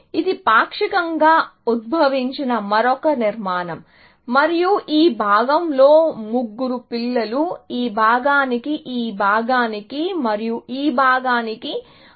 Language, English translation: Telugu, This is another partially elicited structure, and this itself, would have now, three children, which this part, this part and this part